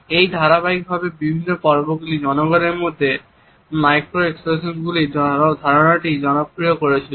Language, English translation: Bengali, Various episodes of this TV show had popularized the idea of micro expressions in the public